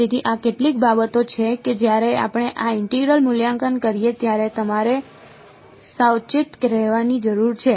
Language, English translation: Gujarati, So, these are these are some of the things that you have to be careful about when we evaluate this integral